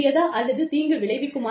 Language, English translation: Tamil, Is this beneficial, or is this harmful